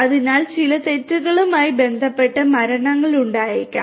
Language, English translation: Malayalam, So, there might be deaths that might be associated with certain mistakes